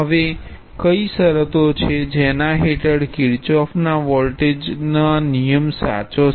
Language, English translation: Gujarati, Now what are the conditions under which the Kirchhoff’s voltage law is true